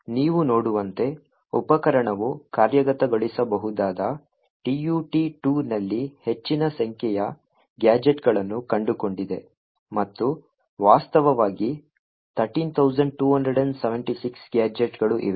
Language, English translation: Kannada, So, as you see the tool has found a large number of gadgets present in the executable tutorial 2 and in fact there are like 13,276 gadgets that are present